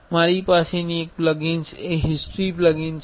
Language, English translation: Gujarati, One plugin I have is history plugin